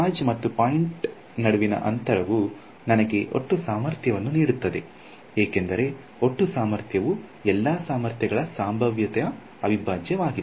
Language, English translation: Kannada, Distance, between the charge and the point right that is what gives me the total potential, for total potential is the integral of all the potential due to everyone of these fellows